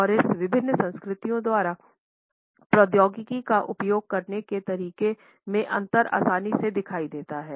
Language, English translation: Hindi, And this difference is easily visible in the way technology is used by different cultures